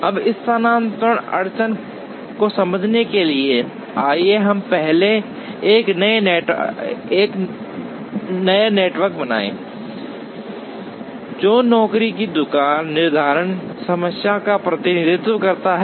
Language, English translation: Hindi, Now, in order to understand the shifting bottleneck heuristic, let us first draw a network, which represents the job shop scheduling problem